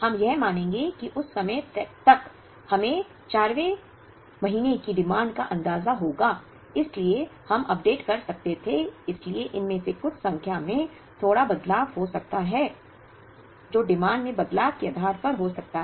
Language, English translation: Hindi, We would assume that, by that time we would have an idea of the demand of the 4th month so we could have updated, so even some of these numbers may change a little bit, depending on the changes in the demand